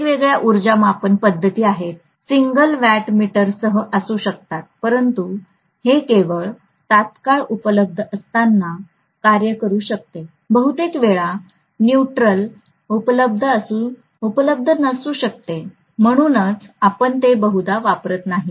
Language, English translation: Marathi, There are different power measurement methods, it can be with single watt meter but this can work only when neutral is available, most of the times neutral may not be available so we may not be using it